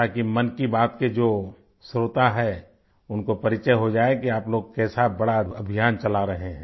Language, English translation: Hindi, So that the listeners of 'Mann Ki Baat' can get acquainted with what a huge campaign you all are running